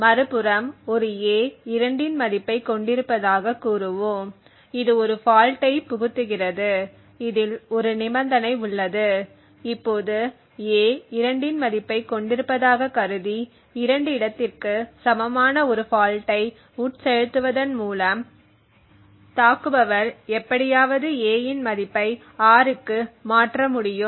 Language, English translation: Tamil, On the other hand let us say that a had a value of 2 injecting a fault so this was one condition and we have now assuming that a has a value of 2 and injecting a fault in the equal to 2 location the attacker has somehow be able to change a to 6 like this